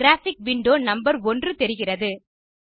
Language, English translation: Tamil, You will see a graphic window number 1